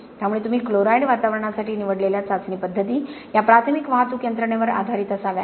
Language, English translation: Marathi, So the test methods you choose for a chloride environment have to be based on these primary transport mechanisms